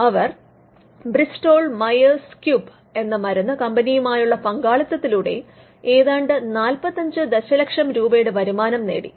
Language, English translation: Malayalam, It partnered with Bristol Myers Squib which is pharmaceutical company and it earned revenues of around 45 million for their technology